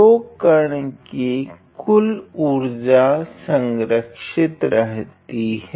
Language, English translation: Hindi, So, the total energy of the particle is conserved